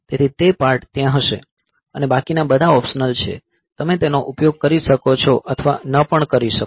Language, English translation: Gujarati, So, that part will be there, others are all optional, so you may or may not use it